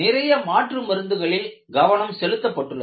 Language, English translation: Tamil, There are a lot of alternative medicines have been focused upon